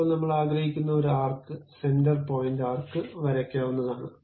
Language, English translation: Malayalam, Now, I would like to draw an arc center point arc I would like to draw